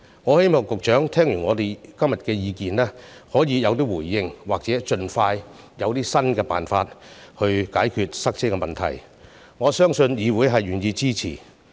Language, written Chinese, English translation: Cantonese, 我希望局長對我們今天的意見可以有所回應，或盡快提出新的辦法來解決塞車問題，我相信議會是願意支持的。, I hope that the Secretary can respond to our opinions today or come up with new solutions as soon as possible to solve the problem of traffic congestion . I believe the Council is willing to support it